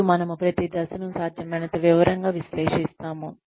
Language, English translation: Telugu, And, we analyze each step, in as much detail as possible